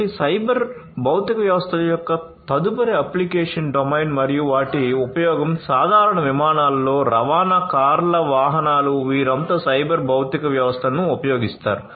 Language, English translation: Telugu, So, the next application domain of cyber physical systems and their use is transportation cars vehicles in general aircrafts they all use cyber physical systems